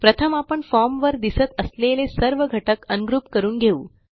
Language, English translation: Marathi, Let us first Ungroup all the elements we see on the form